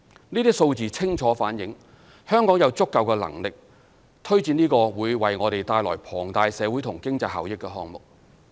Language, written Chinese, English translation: Cantonese, 這些數字清楚反映香港有足夠能力推展這個會為我們帶來龐大社會和經濟效益的項目。, These figures clearly reflect that Hong Kong is capable of delivering this project which will bring us enormous social and economic benefits